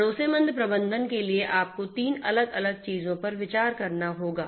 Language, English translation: Hindi, For trustworthiness management, you have to consider these different 3 different things